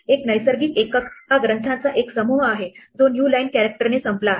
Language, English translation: Marathi, A natural unit is a bunch of texts which is ended with new line character